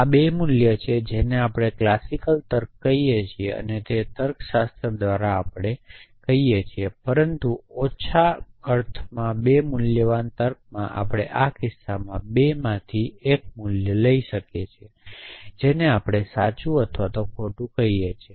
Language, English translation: Gujarati, So, these 2 are what we call as classical logic and by classical logics we, but more less mean 2 valued logics sentence can take 1 of 2 value in our case we call them true and false